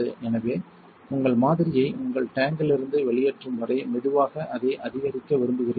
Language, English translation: Tamil, So, you want to slowly ramp it up unless you might blow your sample out of your tong